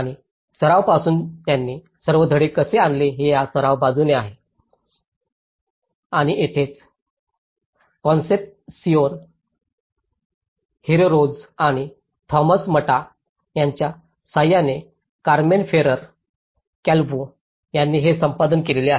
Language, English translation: Marathi, And, it is from the practice side of it how they brought all the lessons from practice and this is where its been edited by Carmen Ferrer Calvo with Concepcion Herreros and Tomas Mata